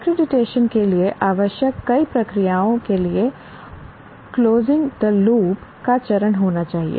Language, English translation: Hindi, Many of the processes required for accreditation need to have the step of closing the loop